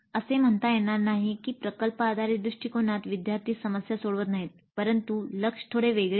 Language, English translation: Marathi, This is not to say that in project based approach the students are not solving the problem but the focus is slightly different